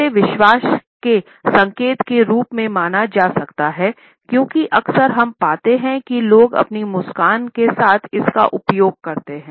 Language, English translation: Hindi, Sometimes it can be treated as an indication of confidence, because most often we find that people use it along with their smile